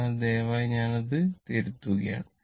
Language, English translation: Malayalam, So, please I am rectifying it